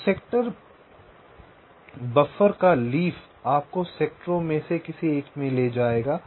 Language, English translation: Hindi, so the leaf of the sector buffer will lead you to one of the sectors and each of the sector